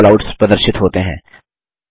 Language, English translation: Hindi, Various Callouts are displayed